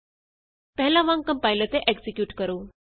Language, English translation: Punjabi, Compile and execute as before